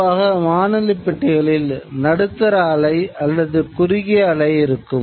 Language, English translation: Tamil, Typically we know that in the radio sets as the medium wave or the short wave